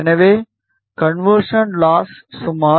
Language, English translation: Tamil, So, conversion loss was around 12